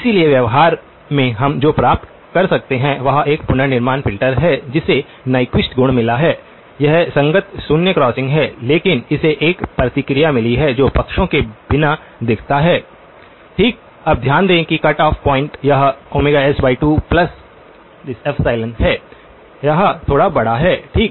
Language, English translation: Hindi, So, what we can achieve in practice is a reconstruction filter which has got the Nyquist properties; that is the corresponding zero crossings but has got a response that looks (()) (05:24) without on the sides okay, now notice that the cut off point, this is omega s by 2 plus epsilon, it is slightly larger okay